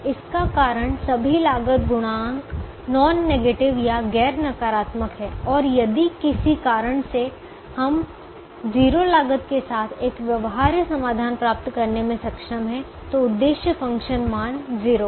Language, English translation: Hindi, the reason is, all the cost coefficients are non negative and if, for some reason, we are able to get a feasible solution with zero cost, then the objective function value is zero